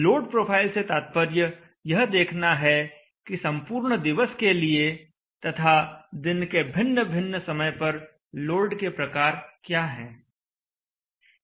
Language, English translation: Hindi, By load profile we have to look at what are the types of loads that occur over the entire day and at what times of the day